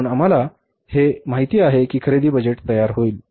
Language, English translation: Marathi, So, we know that purchase budget will be ready